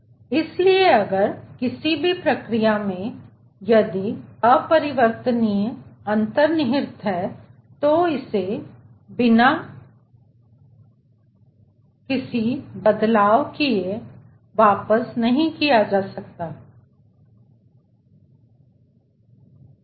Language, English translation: Hindi, so if in any process, if irreversibility is involved, it cannot be reverted back without making making any change elsewhere